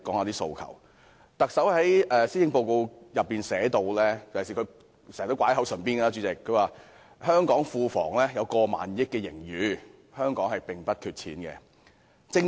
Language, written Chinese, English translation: Cantonese, 特首在施政報告中提到——而她亦經常說——香港庫房有超過1萬億元盈餘，香港並不缺錢。, The Chief Executive mentioned in the Policy Address―and she also says this very often―that there is over 1,000 billion surplus in the Treasury of Hong Kong and Hong Kong is not short of money